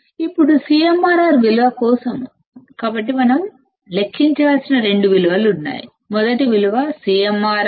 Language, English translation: Telugu, Now for the value of CMRR; so, there are two values that we need to calculate; first value is given as CMRR equals to 100